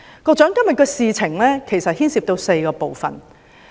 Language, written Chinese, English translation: Cantonese, 今天的事情其實牽涉到4個部分。, The incident today actually involves four aspects